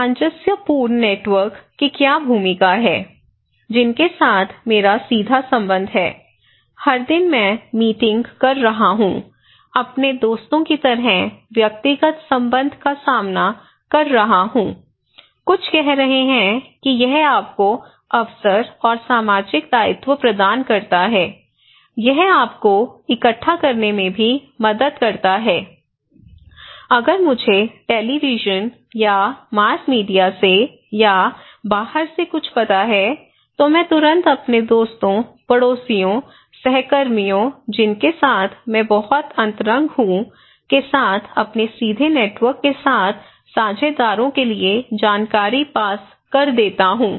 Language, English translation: Hindi, So, what is the role of cohesive networks, with whom I have direct connections, every day I am meeting, talking face to face personal relationship like my friends, some are saying that it provides you the opportunity and social obligation, it is kind of, it also help you to collect that if I know something from outside or from any from televisions or mass media, I immediately pass the informations to my direct network partners like my friends, my neighbours, my co workers with whom I am very intimate, it is cohesive